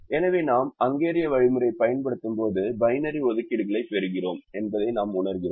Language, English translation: Tamil, so when we use the hungarian algorithm we realize that we were getting the binary assignments